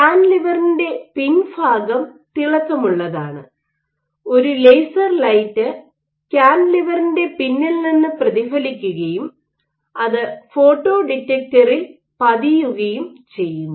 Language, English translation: Malayalam, So, this cantilever, so at the back of it, the back surface of the cantilever is shiny and you have a laser light which reflects of its back and gets detected in a photo detector